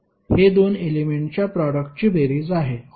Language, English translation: Marathi, This would be the the sum of the product of 2 elements